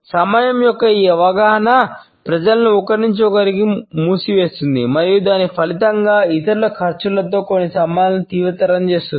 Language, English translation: Telugu, He says that this perception of time seals people from one another and as a result intensifies some relationships at the cost of others